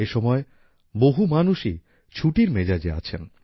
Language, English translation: Bengali, At this time many people are also in the mood for holidays